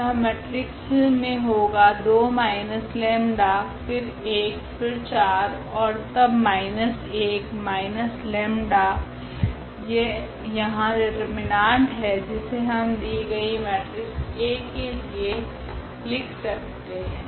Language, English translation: Hindi, The matrix here is 2 minus lambda and then we have here 1 and here we have 4 and then minus 1 and the minus lambda, that is the determinant here which we can directly always we can read write down for this given matrix A